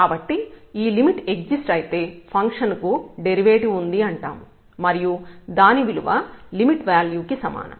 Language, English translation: Telugu, So, if this limit exists we call the function has the derivative and its value is exactly that limit